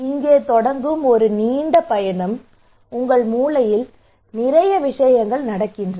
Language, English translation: Tamil, It is a long journey from starting to here there are lot of things are happening in your brain right